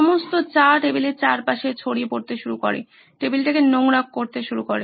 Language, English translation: Bengali, All the tea started spilling all around on the table, started messing up the table